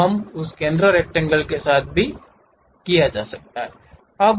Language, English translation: Hindi, So, we are done with that center rectangle also